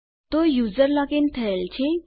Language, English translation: Gujarati, So my user is logged in